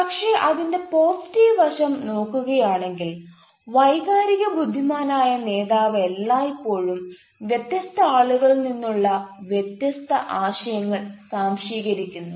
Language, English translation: Malayalam, but if you look at the positive side side of it, an emotional, intelligent leader always assimilates diverse ideas from different peoples